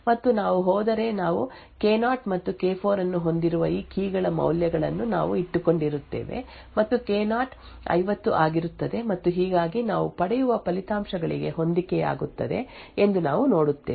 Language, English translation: Kannada, So thus we can infer that K0 XOR K4 would be equal to 50 and if we go back to what we have kept the values of these keys we have K0 and K4 is 50 and thus we see it matches the results that we obtain